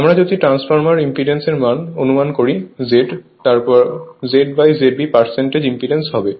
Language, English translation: Bengali, If you assume transformer impedance is Z, then Z by Z B will be your percentage impedance